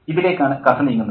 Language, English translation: Malayalam, So, this is what the story is heading toward